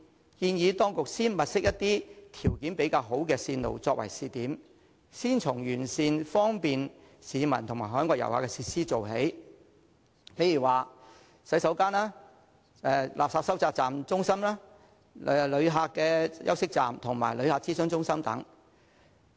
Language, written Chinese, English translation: Cantonese, 我建議當局先物色一些條件較好的線路作為試點，先從完善方便市民和海外旅客的設施做起，例如洗手間、垃圾收集中心、旅客休息站和旅客諮詢中心等。, I suggest the authorities to first identify routes with better conditions as pilot points and start enhancing facilities such as toilets waste collection center resting places for visitors and visitor information centres along the routes to facilitate members of the public and foreign visitors